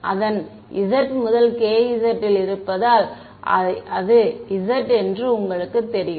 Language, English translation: Tamil, You know since its z since it is in k z then it is z